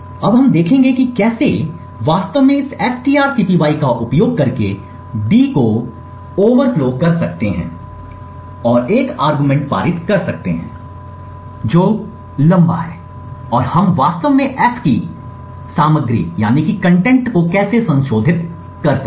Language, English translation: Hindi, Now we will see how we can actually overflow d using this strcpy and passing an argument which is longer and how we could actually modify the contents of f